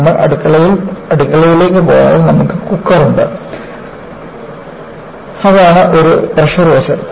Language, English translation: Malayalam, If you go to kitchen, you have the cooker, that is, a pressure vessel